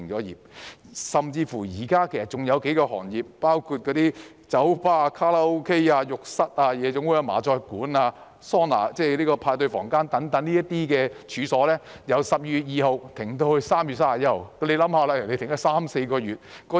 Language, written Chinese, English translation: Cantonese, 現時甚至還有數個行業，包括酒吧、卡拉 OK、浴室、夜總會、麻將館、桑拿、派對房間等處所，由去年12月2日停業至今年3月31日。, Now a few industries including bars karaoke establishments bathhouses nightclubs mahjong parlours saunas and party rooms even suspended operation from 2 December last year to 31 March this year